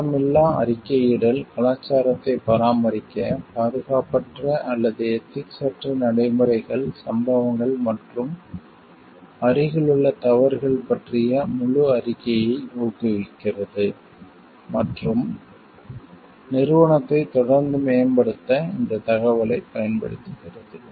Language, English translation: Tamil, To maintain a blame free reporting culture to which encourages a full reporting of unsafe, or unethical practices incidents and near misses and that uses this information to continually improve the organization